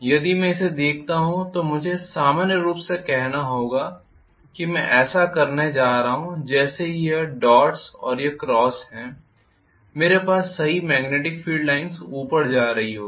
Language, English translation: Hindi, If I look at this I have to say normally I am going to have this as if it is dots and this is cross I would have had the correct magnetic field line going up